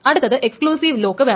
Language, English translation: Malayalam, The first one is called an exclusive lock